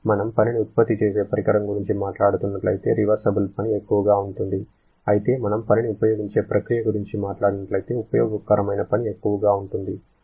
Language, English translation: Telugu, If we are talking about work consuming process, reversible work will be sorry if we are talking about work producing device, reversible work will be higher correct